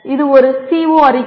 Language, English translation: Tamil, That is a CO statement